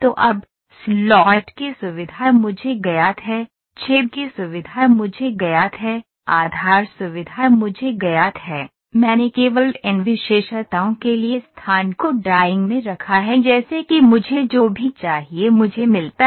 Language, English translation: Hindi, So now, the feature of slot is known to me, the feature of hole is known to me, the base feature is known to me, I only put the location for these features in the drawing such that I get whatever I want ok